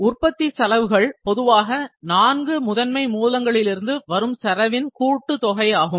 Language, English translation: Tamil, Manufacturing costs are generally the sum of the cost from four prime resources